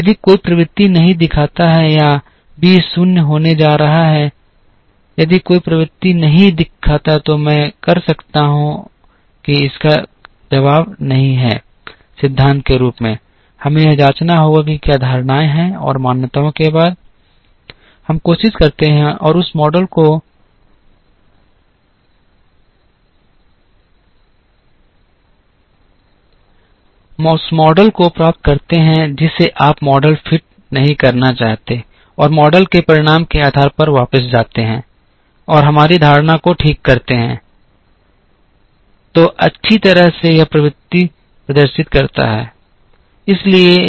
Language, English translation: Hindi, If it does not show any trend or b is going to be 0, if it does not show any trend can I do that the answer is not in principle we have to check what are the assumptions and after the assumptions, We try and get the model you do not want to fit a model and depending on the result of the model go back and correct our assumption oh well this may exhibit trend